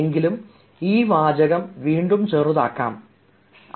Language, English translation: Malayalam, but even this sentence can be made shorter